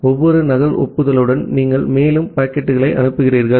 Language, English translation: Tamil, And with every duplicate acknowledgement, you keep on sending the further packets